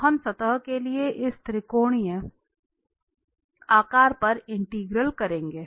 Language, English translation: Hindi, So, we will be doing the integral over this triangular shape of for the surface